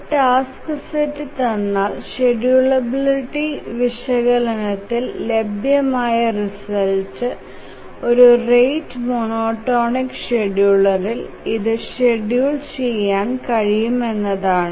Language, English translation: Malayalam, So that is given a task set, can we say that it can be feasibly scheduled on a rate monotonic scheduler